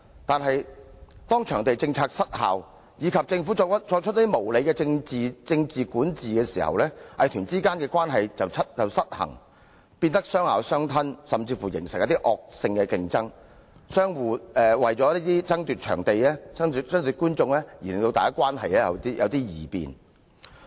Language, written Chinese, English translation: Cantonese, 但是，當場地政策失效及政府作出無理的政治管治時，藝團之間的關係便出現失衡，亦變得相咬相吞，甚至形成惡性競爭，為了爭奪場地和觀眾而關係出現異變。, However when the venue policy failed and there was unreasonable political interference from the Government the relationship among such arts groups was rendered unbalanced . This has led to unhealthy and even vicious competition among them and a change occurred in their relationship due to the competition for venues and audience